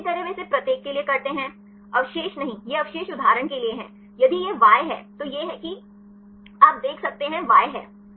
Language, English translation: Hindi, So, likewise they do it for each; not residue, this residue is for example, if it is Y, then this is you can see these are Y